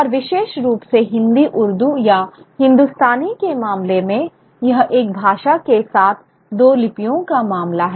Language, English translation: Hindi, So, and specifically in the case of Hindu ordu or Hindustani, it's a case of a language with two scripts